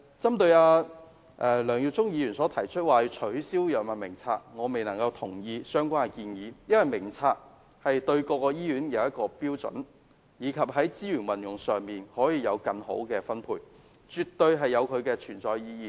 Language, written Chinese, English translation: Cantonese, 針對梁耀忠議員提議取消《藥物名冊》，我不能同意他的建議，因為《藥物名冊》對各醫院來說是一項標準，在資源運用上亦可以作更好的分配，絕對有其存在意義。, Regarding Mr LEUNG Yiu - chungs proposal of abolishing the Drug Formulary I cannot agree with him . It is because the Drug Formulary is a standard for all hospitals . It can allow better allocation of resources thus it has its reason for existence